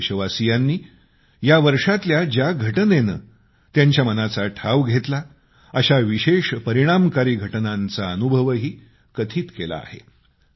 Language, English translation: Marathi, Some countrymen shared those incidents of this year which left a special impact on their minds, a very positive one at that